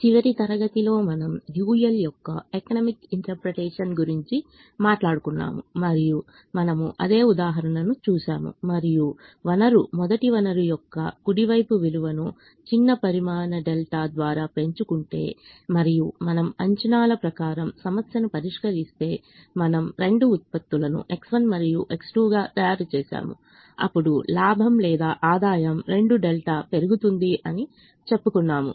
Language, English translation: Telugu, in the last class we addressed the economic interpretation of the dual and we booked at the same example and said: if we increase the value of the right hand side of the resource, first resource, by a small quantity delta, and if we solved the problem under the assumption that we make the two products x one and x two, then we said that the profit increases or revenue increases by two delta